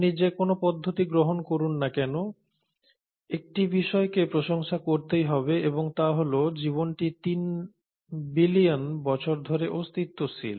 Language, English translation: Bengali, But whatever the approach you take, one has to appreciate one thing and that is life has been in existence for 3 billion years